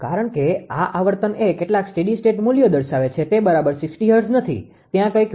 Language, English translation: Gujarati, Because this frequency it is showing some steady state value it is not exactly 60 hertz, it is some deviation is there minus 0